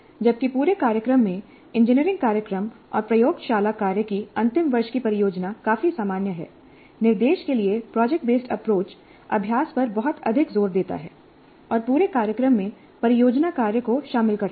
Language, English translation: Hindi, While the final year project of an engineering program and laboratory work throughout the program are quite common, project based approach to instruction places much greater emphasis on practice and incorporates project work throughout the program